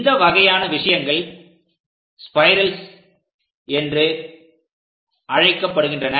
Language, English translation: Tamil, These kind ofthings are called spiral